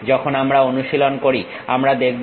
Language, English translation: Bengali, When we are practicing we will see